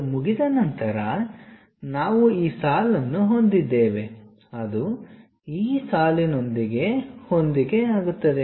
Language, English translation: Kannada, Once that is done we have this line, which is matching with this line